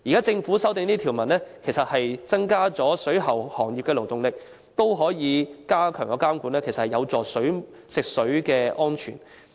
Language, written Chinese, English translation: Cantonese, 政府現時修訂這些條文，增加了水務設施行業的勞動力，而且加強監管，其實是有助於食水安全。, The Governments amendments are in fact conducive to drinking water safety as they will effectively increase the manpower of the waterworks trade and strengthen monitoring